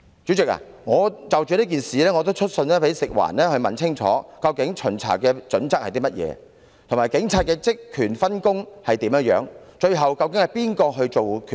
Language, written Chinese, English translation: Cantonese, 主席，我亦曾就此事去信食環署，詢問巡查準則究竟為何，以及該署與警方的職權分工為何，究竟由那一方作最後決定？, President I have written to FEHD on this matter to enquire about the criteria adopted for conducting inspections the division of responsibilities between FEHD and the Police as well as the party responsible for making the final decision